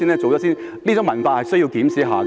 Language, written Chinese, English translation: Cantonese, 這種文化是需要檢視的。, Such a culture needs to be examined